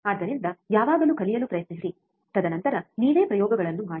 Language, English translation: Kannada, So, always try to learn, and then perform the experiments by yourself